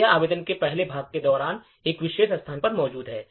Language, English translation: Hindi, So, this is present at a particular location during the first part of the application